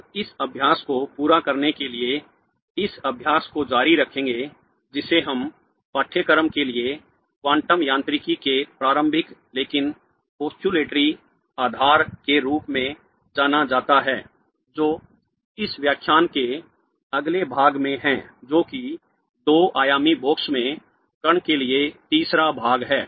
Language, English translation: Hindi, We will continue this exercise to complete what is known as the introductory but postulatory basis of quantum mechanics for this course in the next part of this lecture which is the third part for the particle in a two dimensional box